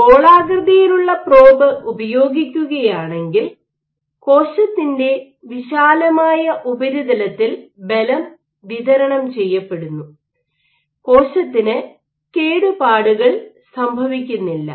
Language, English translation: Malayalam, While If you use a spherical probe, the force is distributed over a wider cell surface area of the cell and the cell does not get damaged